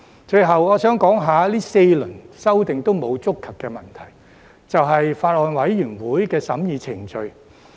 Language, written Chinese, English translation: Cantonese, 最後，我想說說這4輪修訂均沒有觸及的問題，就是法案委員會的審議程序。, Lastly I would like to talk about an issue which has not been touched upon in these four rounds of amendments . It is the scrutiny process of the Bills Committee